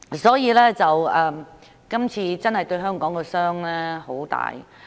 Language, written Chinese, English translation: Cantonese, 因此，這次真的對香港造成很大傷害。, Therefore serious harm has really been inflicted on Hong Kong this time